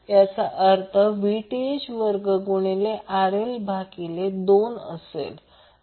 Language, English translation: Marathi, That means Vth square into RL by 2